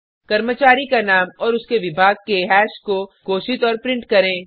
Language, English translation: Hindi, Declare and print a hash of Employee Name and their department